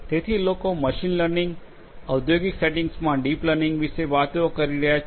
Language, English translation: Gujarati, So, people are talking about machine learning, deep learning in the industrial settings